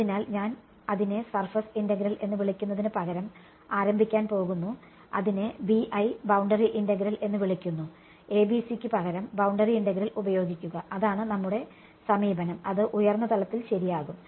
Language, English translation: Malayalam, So, I am going to start instead of calling it surface integral the literature calls it BI boundary integral, use boundary integral for boundary conditions instead of ABC that is going to be our approach the at the high level ok